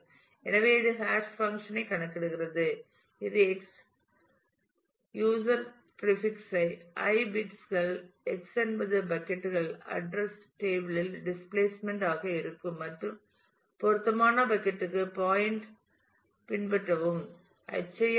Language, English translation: Tamil, So, it compute the hash function which is X user prefix i bits of X as a displacement into the buckets address table and follow the pointer to the appropriate bucket